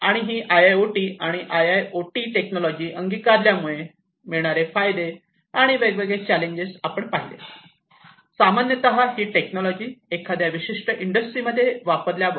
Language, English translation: Marathi, And the advent advantages, and the different challenges, that are going to be encountered in the adoption of these technologies IIoT and IoT, in general, these technologies in a particular industry